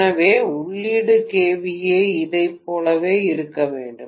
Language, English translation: Tamil, So output kVA is 2